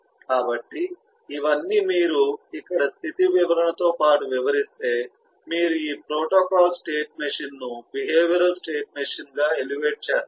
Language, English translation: Telugu, so all these, if you try to describe along with the state description here, then you will elevate this protocol state machine into a behavioral state machine